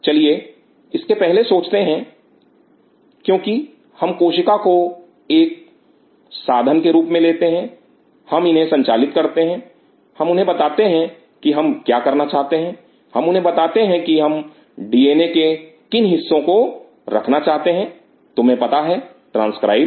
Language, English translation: Hindi, Let us think beyond this because let us use cells as a tool, we govern them we tell them what we wanted to do, we tell them then which part of the DNA we want to put you know transcribed